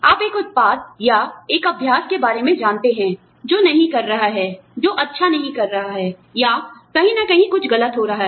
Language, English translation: Hindi, You know about a product, or a practice, that is not doing, you know, that is not doing well, or, something, that is going wrong, somewhere